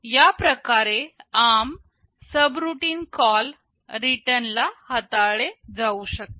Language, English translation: Marathi, This is how in ARM subroutine call/return can be handled